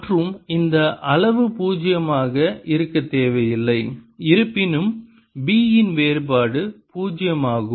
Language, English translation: Tamil, and this quantity need not be zero, although divergence of b is zero